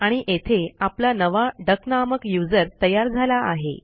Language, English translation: Marathi, And here is our newly created user named duck